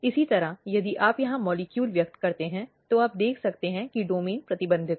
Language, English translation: Hindi, Similarly, if you express molecule in here, you can see that domain is restricted